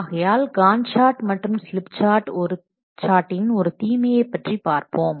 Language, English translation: Tamil, So let's see one of the drawback of this GAN chart and slip chart